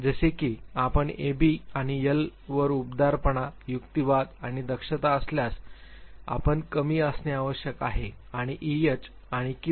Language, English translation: Marathi, Like if you are high on A B and L that is warmth, reasoning and vigilance then you are bound to be low and E H and Q